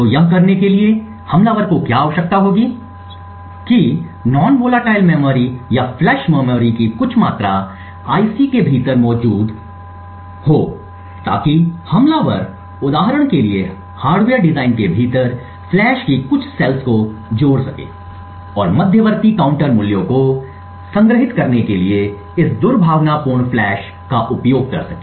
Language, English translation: Hindi, So in order to do this what the attacker would need is that some amount of non volatile memory or flash memory to be present within the IC so the attacker could for example add a few cells of flash within the hardware design and use this malicious flash to store the intermediate counter values